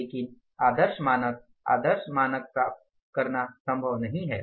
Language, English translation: Hindi, But ideal standard to attain ideal standard is not possible all the times